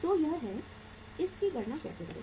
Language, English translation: Hindi, So this is, how to calculate this